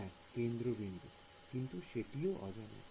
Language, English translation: Bengali, Well centre point ok, but that is also an unknown